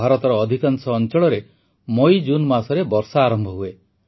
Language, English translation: Odia, In most parts of India, rainfall begins in MayJune